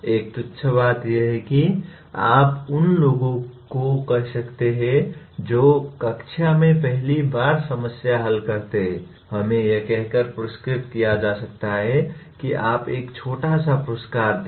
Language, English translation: Hindi, A trivial thing is you can say those who solve the problem first in the class can be rewarded by let us say you give a small reward